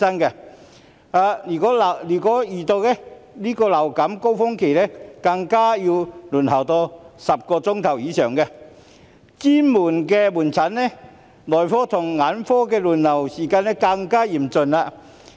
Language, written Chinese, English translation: Cantonese, 如果遇到流感高峰期，更要輪候10小時以上，而專科門診、內科及眼科診症的輪候時間，更為嚴峻。, During the influenza surge the waiting time is more than 10 hours and the waiting time for specialist outpatient medical and ophthalmology consultations will even be worse